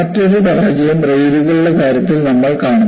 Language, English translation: Malayalam, Another failure is, what you see in the case of rails